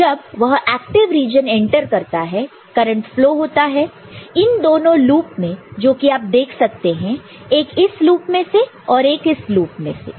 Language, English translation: Hindi, So, when it enters into active region current flows along this loop 2 loops that you can see over here, one is along this loop, another is along this loop right